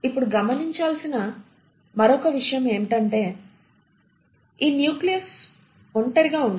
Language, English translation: Telugu, Then the other thing which is observed is that this nucleus does not exist in isolation